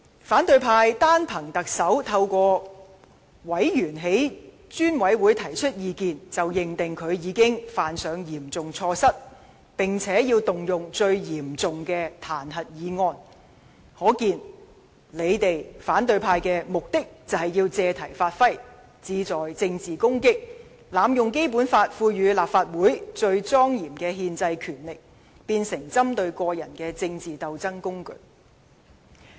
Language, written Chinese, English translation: Cantonese, 反對派議員單憑特首通過委員在專責委員會提出意見，便認定他已犯上嚴重錯失，並且動用最嚴重的彈劾議案，可見他們只是借題發揮，志在政治攻擊，並濫用《基本法》賦予立法會最莊嚴的憲制權力，將之變成針對個人的政治鬥爭工具。, Opposition Members have based on the incident that the Chief Executive had expressed views to the Select Committee through one of its members concluded that he had made serious mistakes and thus initiated the most serious impeachment motion . Evidently they have used the incident as a pretext to attack the Chief Executive politically . By doing so they have abused the most solemn constitutional power conferred to the Legislative Council by the Basic Law and turned it into a tool of political struggle against an individual